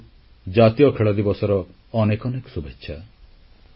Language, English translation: Odia, Many good wishes to you all on the National Sports Day